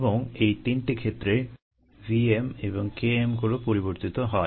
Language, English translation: Bengali, and in these three cases the v ms and k ms change